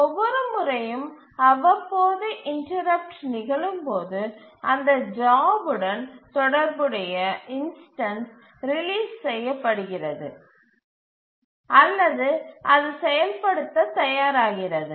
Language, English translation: Tamil, So each time the periodic timer interrupt occurs, the corresponding instance of that task which is called as a job is released or it becomes ready to execute